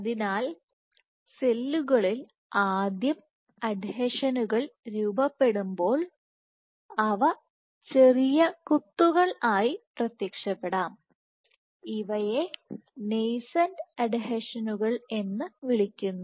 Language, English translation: Malayalam, So, when cells first engage adhesions you might have these appear as small dots, these are even called nascent adhesions